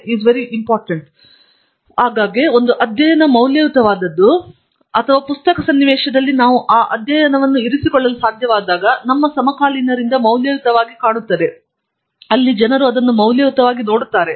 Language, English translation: Kannada, And then, very often a study is valuable or seen as valuable by our peers when we are able to place that study in a current context, where people look at it as valuables